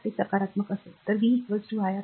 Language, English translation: Marathi, So, it will be positive so, v is equal to iR